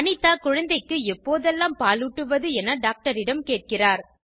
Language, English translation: Tamil, Anita asks the doctor, How often should I feed my baby.